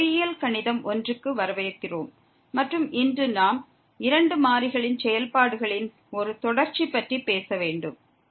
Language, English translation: Tamil, Welcome to engineering mathematics 1 and today we will be talking about a Continuity of Functions of two Variables